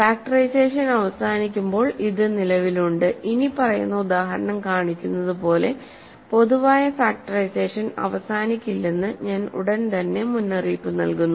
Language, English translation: Malayalam, So, it exists when factorization terminates, I should right away warn you that in general factorization may not terminate as the following example shows